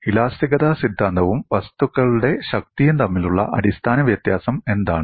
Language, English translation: Malayalam, What is the fundamental difference between theory of elasticity and strength of materials